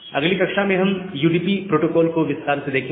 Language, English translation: Hindi, So, in the next class, we will look into the details of the UDP protocol